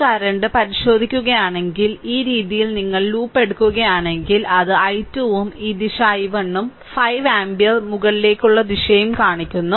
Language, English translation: Malayalam, So, and, if you look into that this current, this current, we are taking actually this way this way if you take the loop it is i 2 and this way, we are taking this is your this direction is i 1 and 5 ampere shown it is upwards right